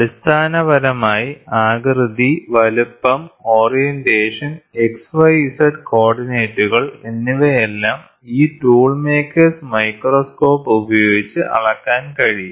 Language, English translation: Malayalam, So, basically what it says shape, size, orientation, and X Y Z coordinates can all be measured using this tool maker’s microscope